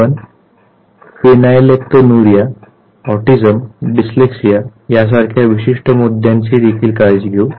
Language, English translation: Marathi, We will even take care of certain issues like say phenylketonuria, autism, dyslexia